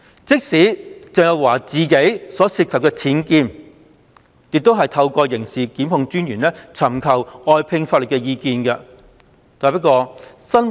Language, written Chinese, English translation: Cantonese, 即使鄭若驊自己所涉及的僭建事件，亦透過刑事檢控專員尋求外聘法律意見。, Even in the unauthorized building works UBWs incident involving Teresa CHENG herself outside legal advice was likewise sought through the Director of Public Prosecutions